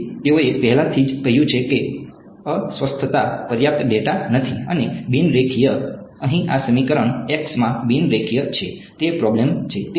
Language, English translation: Gujarati, So, they have already said that ill posed not enough data and non linear right, this equation over here is non linear in x that is the problem